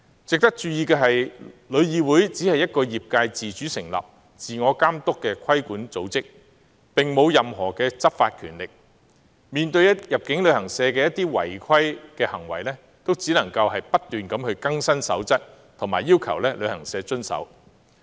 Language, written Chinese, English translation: Cantonese, 值得注意的是，旅議會只是一個由業界自主成立、自我監督的規管組織，並無任何執法權力，面對入境旅行社的一些違規行為，也只能夠不斷更新守則，並要求旅行社遵守。, It is noteworthy that TIC is only a self - regulatory body voluntarily established by the industry and it does not have any law enforcement powers . When confronted with contraventions by inbound travel agents TIC can only continue to update its code of practice and require travel agents to follow the rules